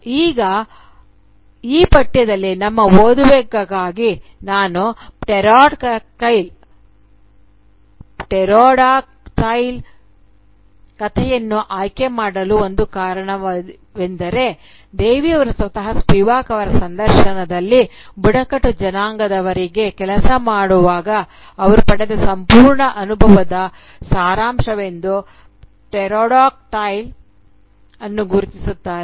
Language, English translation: Kannada, Now, one of the reasons I chose the story "Pterodactyl" for our reading in this course is because Devi herself, in an interview with Spivak, identifies it as the summation of the entire experience she obtained while working with the tribals